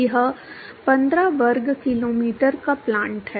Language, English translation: Hindi, It is a 15 square kilometer plant